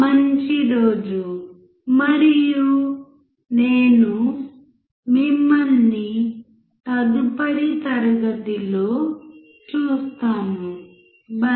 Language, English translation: Telugu, Have a nice day and I will see you in the next class bye